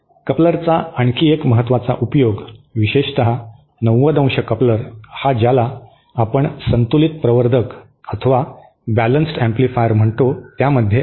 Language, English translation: Marathi, One other important application of a coupler, especially the 90¡ coupler is in what we call balanced amplifiers